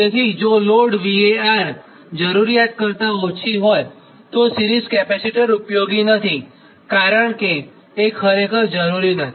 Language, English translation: Gujarati, so if the load var requirement is small, series capacitors are of little use